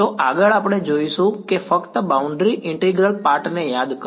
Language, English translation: Gujarati, So, next we will see what is the just revise the boundary integral part ok